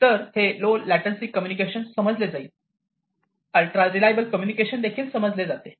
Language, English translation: Marathi, So, this low latency communication is understood, ultra reliable communication is also understood